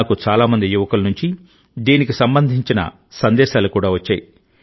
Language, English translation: Telugu, I have received messages related to this from many young people